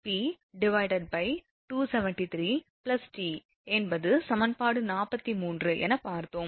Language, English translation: Tamil, 392 p upon 273 plus t this is equation 43